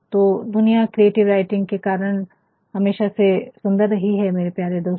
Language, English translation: Hindi, So, the world has actuallybeen beautiful only because of creative writing my dear friends